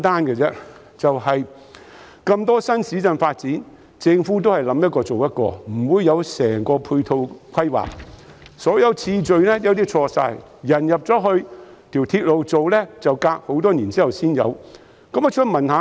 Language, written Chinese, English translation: Cantonese, 政府發展新市鎮時，往往是"諗一個、做一個"，沒有完整的配套規劃，設施興建次序有時全錯，例如鐵路在市民遷入數年後才建成。, In new town development the Government often makes plan for supporting facilities individually instead of making a comprehensive planning . Consequently the order of facility construction is sometimes completely wrong for example the completion of railway construction may come years after the population intake